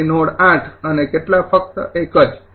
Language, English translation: Gujarati, so node eight, and how many